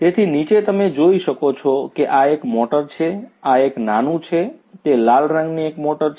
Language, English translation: Gujarati, So, underneath as you can see this is a motor this is the small one, the red colored one is a motor